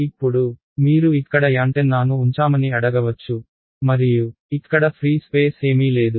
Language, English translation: Telugu, Now, you might ask supposing I put an antenna like this over here, and it is in free space absolutely nothing anywhere